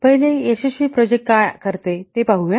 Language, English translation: Marathi, See first let's see what makes a successful project